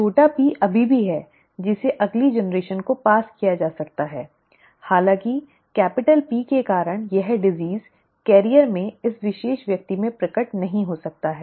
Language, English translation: Hindi, The small P is still there, that can be passed on to the next generation although because of the capital P this disease may not manifest in this particular person in the carrier